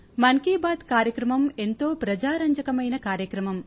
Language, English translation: Telugu, The medium of 'Mann Ki Baat' has promoted many a mass revolution